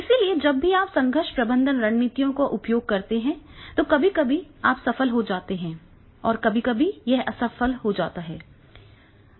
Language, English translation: Hindi, So, whenever you use the conflict management strategies, sometimes you become successful, sometimes it becomes failure